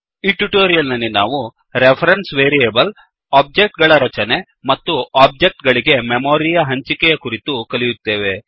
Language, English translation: Kannada, In this tutorial, we will learn about: Reference Variables Constructing objects and Memory Allocation for objects